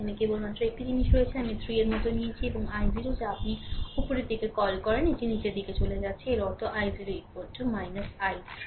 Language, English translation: Bengali, Only one thing is here i 3 we have taken like this and i 0 is your what you call upward, it is going downward; that means, your i 0 is equal to minus i 3 right